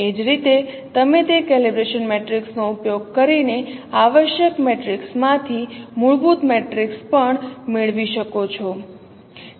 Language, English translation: Gujarati, Similarly, you can also get fundamental matrix from essential matrix by using those calibration matrix